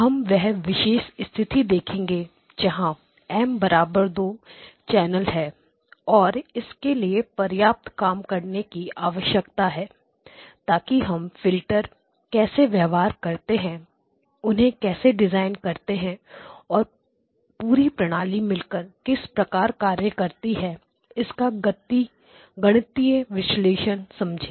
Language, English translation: Hindi, We will look at the special case where M equal to 2 channels and it actually requires a fair amount of work to do the, to understand the mathematical analysis how the filters behave how do we design them and how the whole system works together